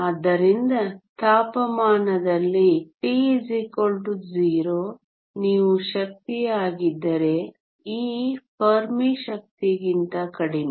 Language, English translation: Kannada, So, at temperature t equal to 0 if you are energy e is less than the Fermi energy